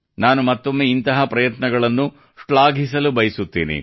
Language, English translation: Kannada, I once again commend such efforts